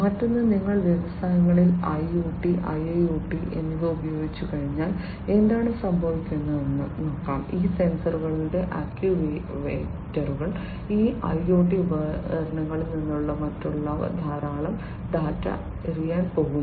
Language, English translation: Malayalam, The other one is that once you have used IoT and IIoT, etcetera in the industries; what is happening is these sensors actuators, etcetera from these IoT devices are going to throw in lot of data